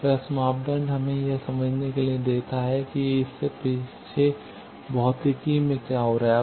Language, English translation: Hindi, So, S parameter gives us to understand what is happening in the physics behind it